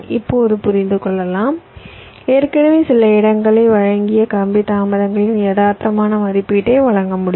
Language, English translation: Tamil, now you can understand, you can provide realistic estimate of the wire delays, provided you already had made some placement